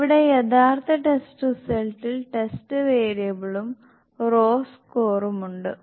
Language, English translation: Malayalam, So here the actual test result is, the test variable is and the raw score